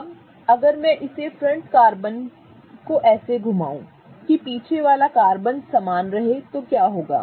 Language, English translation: Hindi, Now if I rotate this front carbon such that keeping the back carbon the same, what do I give rise to